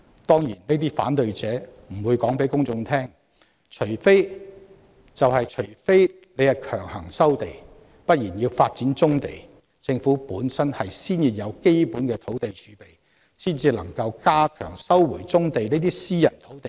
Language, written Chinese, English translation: Cantonese, 當然，這些反對者不會告訴公眾，除非強行收地，否則要發展棕地，政府本身先要有基本的土地儲備，才有足夠議價能力收回棕地這些私人土地。, Of course such opponents will not tell the public that unless forcible land resumption be performed to develop brownfield sites the Government must first have sufficient land reserve so that it has strong enough bargaining power to recover such privately - owned brownfield sites